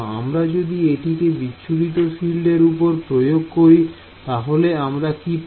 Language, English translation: Bengali, We applied on the scatter field and how do we get this scatter field